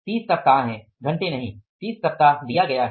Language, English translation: Hindi, 30 weeks, not hours, 30 weeks are given